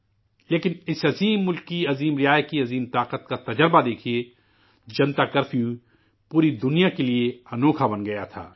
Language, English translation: Urdu, Just have a look at the experience of the might of the great Praja, people of this great country…Janata Curfew had become a bewilderment to the entire world